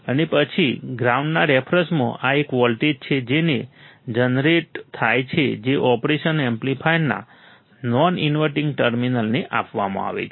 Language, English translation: Gujarati, And then with respect to ground this is a voltage that is generated that is fed to the non inverting terminal of the operation amplifier